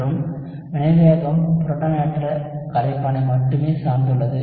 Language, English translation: Tamil, And the reaction rate only depends on the protonated solvent